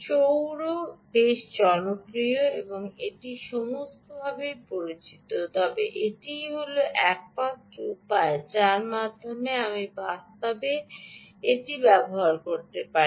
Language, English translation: Bengali, solar is so well known, popular and all that, but is that the only way by which you can actually you, you can actually use this